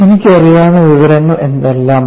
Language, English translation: Malayalam, What is the information that I know